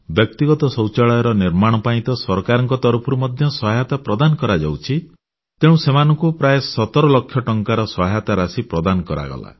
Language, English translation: Odia, Now, to construct these household toilets, the government gives financial assistance, under which, they were provided a sum of 17 lakh rupees